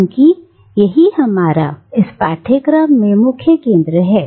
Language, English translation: Hindi, Because ultimately that is our main concern in this course